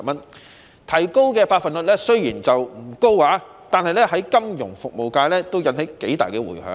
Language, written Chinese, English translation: Cantonese, 雖然提高的百分率不高，但在金融服務界已引起頗大的迴響。, Although the percentage of increase is not high it has caused considerable repercussions in the financial services industry